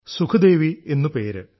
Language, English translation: Malayalam, And named Sukhdevi